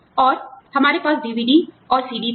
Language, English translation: Hindi, And, we then, we had DVD